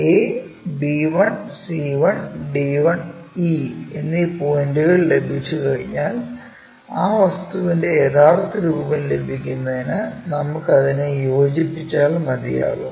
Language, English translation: Malayalam, Once we have these points a, b 1, c 1, d 1 and e 1, we connect it to get the true shape or original shape of that object